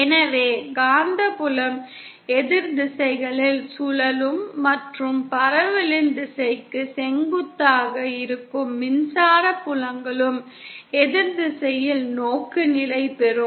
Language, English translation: Tamil, So the magnetic field will rotate in the opposite directions and the electric fields which are perpendicular to the direction of propagation, they will also be oriented in an opposite direction